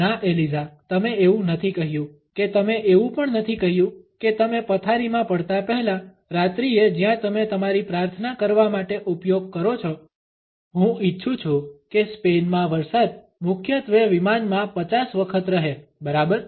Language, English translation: Gujarati, No Eliza you did not say that you did not even say that the ever night before you get in the bed where you use to say your prayers, I want you to say the rain in Spain stays mainly in the plane 50 times ok